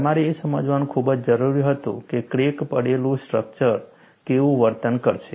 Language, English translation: Gujarati, You had certain pressing need to understand, how crack tip structure would behave